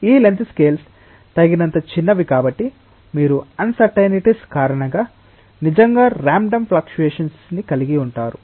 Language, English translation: Telugu, These length scales are small enough so that you have really random fluctuations, because of the uncertainties